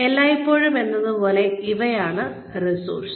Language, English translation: Malayalam, As always, these are some of the resources